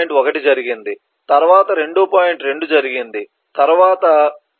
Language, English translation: Telugu, 4 will follow 1